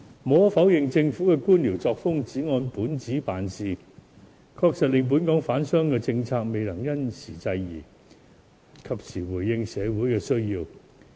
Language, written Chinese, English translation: Cantonese, 無可否認，政府的官僚作風，只按本子辦事，確實令本港的商販政策未能因時制宜，及時回應社會的需要。, Undeniably the Governments bureaucratic approach of sticking only to the rules has really caused its policy on traders unable to respond to the demands of the times and society